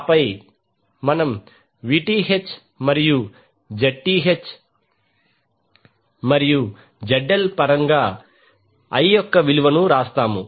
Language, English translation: Telugu, And then we write the value of I in terms of Vth and the Zth and ZL